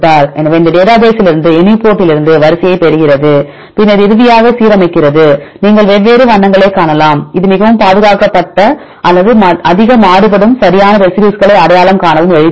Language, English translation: Tamil, So, it gets the sequence from UniProt right from this database you get the sequences and then final it aligns from this one you can see different colors this is also easy to identify the residues which are highly conserved or which are highly variable right if you see these colors